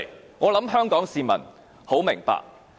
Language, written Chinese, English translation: Cantonese, 我相信香港市民很明白。, I believe that Hong Kong people can understand very well